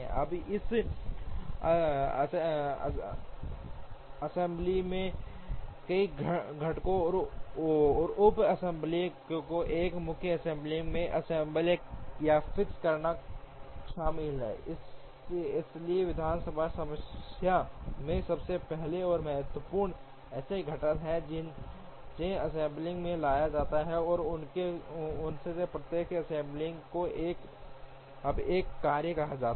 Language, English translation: Hindi, Now, this assembly involves assembling or fixing several components and sub assemblies into a main assembly, so first and foremost in the assembly problem, there are components that are brought into the assembly and assembly of each one of them is now called a task